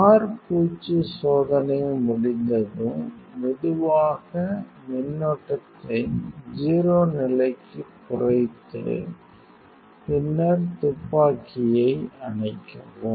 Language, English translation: Tamil, So, once you are finished your coating trial, slowly decrease the current to 0 levels then switch off the gun